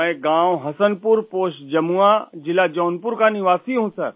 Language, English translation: Hindi, I am a resident of village Hasanpur, Post Jamua, District Jaunpur